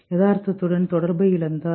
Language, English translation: Tamil, Lost touch with reality